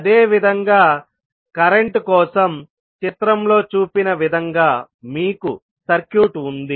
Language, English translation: Telugu, Similarly, for current, you will have the circuit as shown in the figure